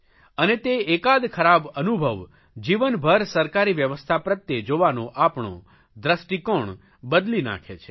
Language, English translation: Gujarati, And that one experience shapes our perception of the government system for a lifetime